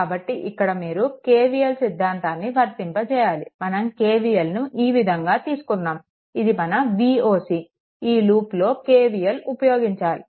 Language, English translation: Telugu, So, here you can here you apply your KVL, you can apply you can apply KVL either your either like this; this is your V oc this loop you can apply